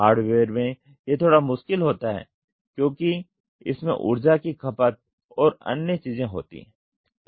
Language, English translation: Hindi, In hardware it is slightly difficult because there is a energy consumption and other things